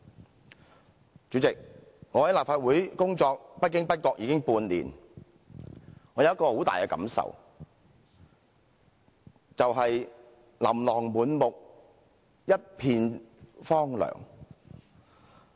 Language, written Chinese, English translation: Cantonese, 代理主席，我在立法會工作不經不覺已經半年，我有一種很深的感受，便是"琳琅滿目，一片荒涼"。, Deputy President time flies and I have been working in the Legislative Council for half a year . I do feel strongly that this is a place where one can see both affluence and desolation